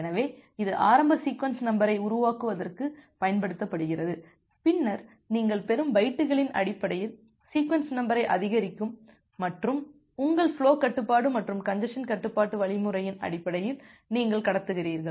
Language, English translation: Tamil, So, that is used for generating the initial sequence number, then the sequence number will incremented based on the bytes that you are receiving and you are transmitting based on your flow control and the congestion control algorithm